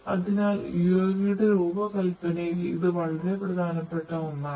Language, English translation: Malayalam, So, this is very important in the design of a UAV